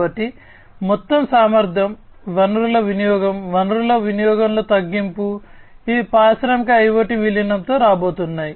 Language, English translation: Telugu, So, overall efficiency resource utilization reduction in resource utilization, these are the things that are going to come with the incorporation with the incorporation of industrial IoT